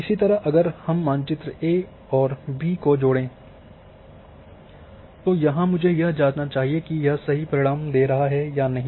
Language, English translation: Hindi, Similarly, if I have added two maps A and B then I should check whether it is giving correct results are not